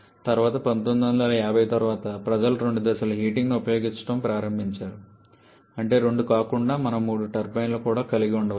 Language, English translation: Telugu, Later after 1950’s people started using two stages of reheating that is instead of having two we can have three turbines also